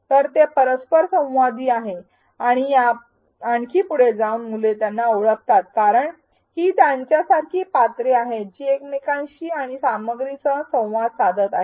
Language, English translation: Marathi, So, it is interactive and even further children identify because its other characters like them who are interacting with each other and with the content